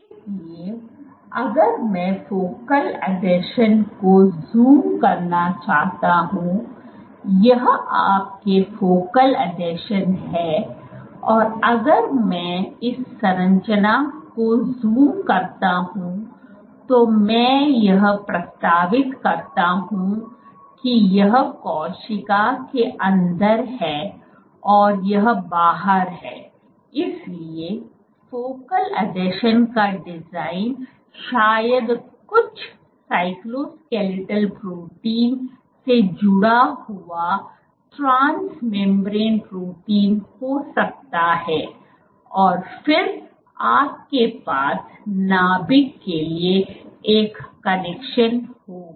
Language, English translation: Hindi, So, this for your focal adhesions, if I zoom in to this structure what I propose, this is inside the cell and this is outside so the design of the focal adhesion probably might have some transmembrane protein linked to some cytoskeletal protein and then you have the connection to the nucleus